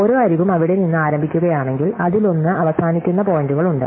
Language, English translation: Malayalam, If every edge starts from there, one of itÕs ends points is there